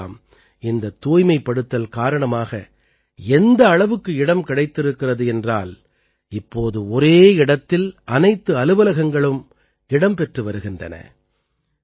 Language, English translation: Tamil, These days, due to this cleanliness, so much space is available, that, now, all the offices are converging at one place